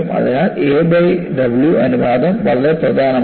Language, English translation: Malayalam, So, a by W ratio is very important